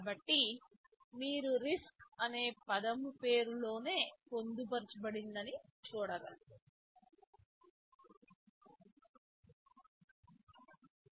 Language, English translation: Telugu, So, you see in the name itself the word RISC is embedded